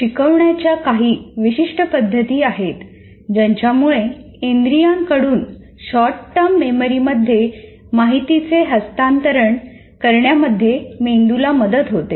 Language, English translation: Marathi, There are certain instructional methods can facilitate the brain in dealing with information transfer from senses to short term memory